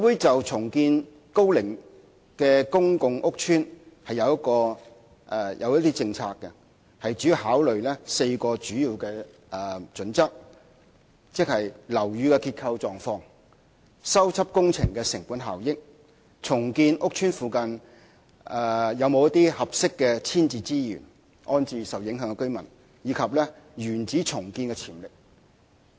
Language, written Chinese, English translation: Cantonese, 就重建樓齡高的公共屋邨，房委會訂有一些政策，主要考慮4項準則，即：樓宇的結構狀況、修葺工程的成本效益、重建屋邨附近是否有一些合適的遷置資源安置受影響的居民，以及原址重建的潛力。, Regarding the redevelopment of old PRH estates HKHA has formulated certain policies which involve four major criteria namely the structural condition of the building the cost - effectiveness of the repair and maintenance works the availability of suitable rehousing resources in the vicinity for rehousing the affected tenants and also the potential for in - situ redevelopment